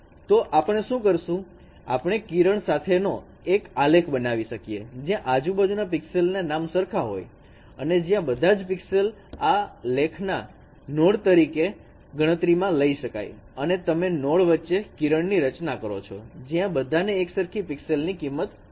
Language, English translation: Gujarati, So what we do we can form a graph with ages between neighboring pixels having same levels which say you consider every pixel is a node of this graph and you form the age when they are neighbor the neighbors have the same pixel values